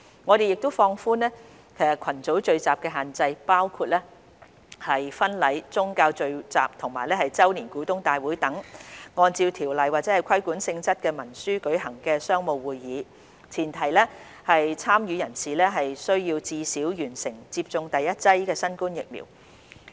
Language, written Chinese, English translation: Cantonese, 我們亦放寬群組聚集的限制，包括婚禮、宗教聚集及周年股東大會等按照條例或規管性質文書舉行的商務會議，前提是參與人士須至少完成接種第一劑新冠疫苗。, We have also relaxed the restrictions in relation to group gatherings including wedding ceremonies religious gatherings and business meetings held in order to comply with any Ordinance or other regulatory instrument such as annual general meetings on the premise that their participants must have received at least the first dose of COVID - 19 vaccine